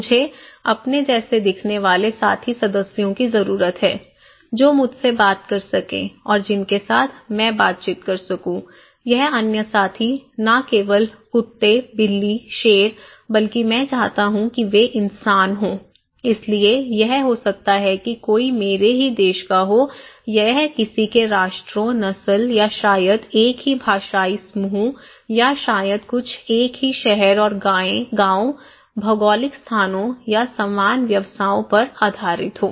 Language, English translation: Hindi, I need fellow members who look like me, who can talk to me and with whom I can interact with so, this other fellow, not only dogs, cats, lions but I want the human being right, so it could be that someone is from my own country, it depends on someone's nations, race or maybe same linguistic group or maybe some coming from the same town and village, geographical locations or same occupations